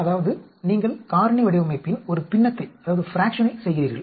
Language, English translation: Tamil, That means you do a fraction of the factorial design